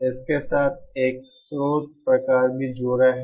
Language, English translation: Hindi, There is also a source kind of associated with it